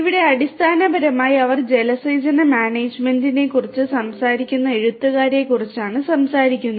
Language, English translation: Malayalam, Here basically they are talking about the authors they are talking about the irrigation management